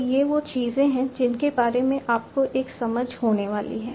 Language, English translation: Hindi, So, these are the things that you are going to get an understanding about